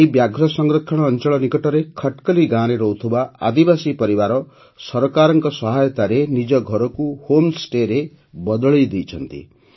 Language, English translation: Odia, Tribal families living in Khatkali village near this Tiger Reserve have converted their houses into home stays with the help of the government